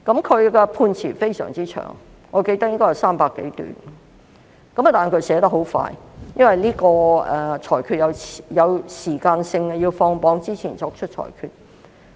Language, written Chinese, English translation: Cantonese, 他的判詞相當長，我記得應該有300多段，但他寫得很快，因為這個裁決是有時間性的，需要在放榜前作出裁決。, His judgment was rather long with more than 300 paragraphs as I remember but he wrote it very quickly because this judgment had to be made timely before the release of examination results